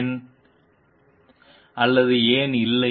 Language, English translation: Tamil, Why or why not